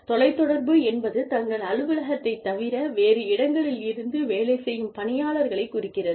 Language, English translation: Tamil, Telecommuting refers to, people working from home, people working from locations, other than their office